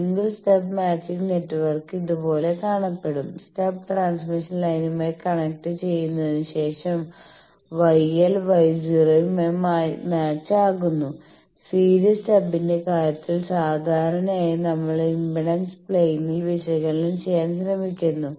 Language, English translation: Malayalam, Single stub matching network will look like this that Y l is matched to Y naught after the stub and the transmission line is connected whereas, in case of the series stub generally we try to do the analysis in the impedance plane